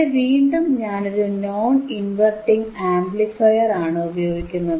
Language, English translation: Malayalam, Here I have am using again a non inverting amplifier, right again